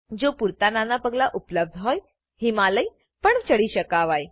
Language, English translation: Gujarati, If sufficient small steps are available, Himalayas can also be climbed